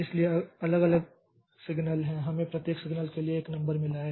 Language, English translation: Hindi, So each signal has got a number